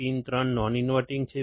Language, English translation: Gujarati, Pin 3 is non inverting